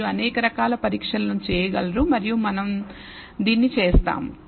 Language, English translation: Telugu, You can do many kinds of test and we will do this